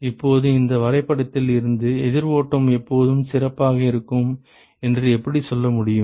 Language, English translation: Tamil, Now, how can you say from this graph that counter flow is always better